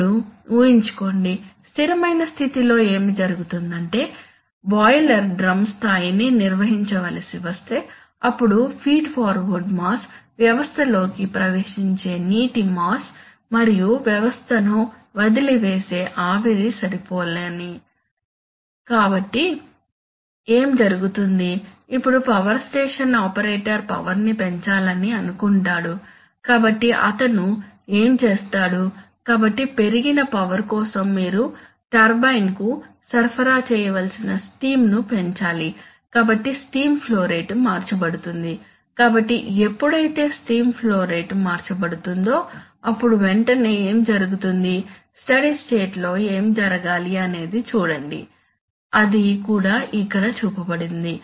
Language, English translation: Telugu, Now imagine, so in the steady state what happens is that the mass, if the boiler drum level has to be maintained, then the mass of feed water, that, that you are the mass of water that is entering the system and the steam that is leaving the system must be matching, so what happens, now imagine that the power station operator wants to increase the power, so he will do what, so for increased power you need to supply increase steam to the turbine, so the steam flow rate will be changed, so when the steam flow rate is changed immediately what happens, immediately what happens, see what should happen in the, in the steady state what should happen, in the steady state what should happen is that the, see, that is also shown here that